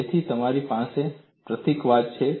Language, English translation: Gujarati, So, you have the symbolism